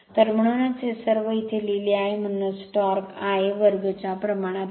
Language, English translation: Marathi, So, that is why this your everything is written here that is why torque is proportional to I a square